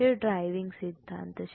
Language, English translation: Gujarati, That's the driving principle